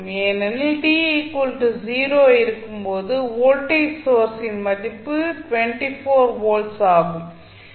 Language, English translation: Tamil, What would be the value because at time t is equal to 0 you see the voltage source value is 24 volt